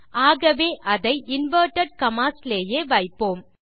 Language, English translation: Tamil, So, just keep them as inverted commas